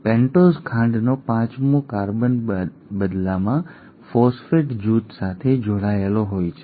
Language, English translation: Gujarati, And the fifth carbon of the pentose sugar in turn is attached to the phosphate group